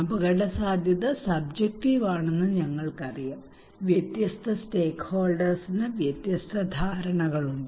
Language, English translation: Malayalam, that we know that risk is subjective, different stakeholders have different perceptions